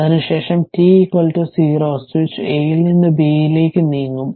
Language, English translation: Malayalam, After that at t is equal to 0, switch will move from A to B